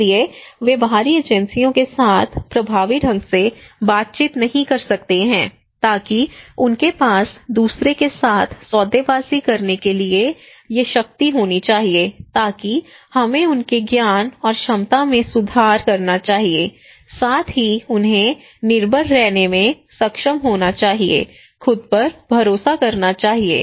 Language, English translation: Hindi, Therefore they cannot effectively negotiate with the external agencies so they should have these power to bargain with the other so that we should improve their knowledge and capacity also they should be able to depend, trust themselves okay, this is important